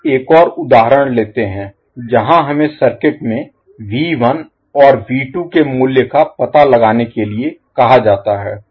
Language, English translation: Hindi, Now let us take another example where we are asked to find out the value of V 1 and V 2 in the circuit